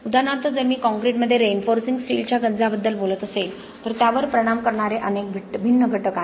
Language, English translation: Marathi, For example if I am talking about corrosion of reinforcing steel in concrete there are several different factors that may affect that